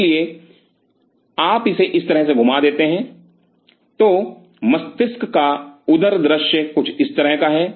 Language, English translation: Hindi, So, if you roll it down like that, the ventral view is something like this of the brain